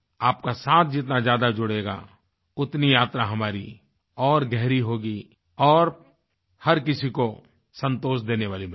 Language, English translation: Hindi, The more you connect with us, our journey will gain greater depth, providing, satisfaction to one and all